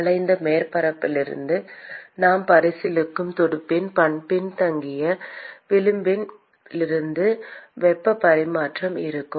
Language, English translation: Tamil, And there will be heat exchange from the curved surface and also from the lagging edge of the fin that we are considering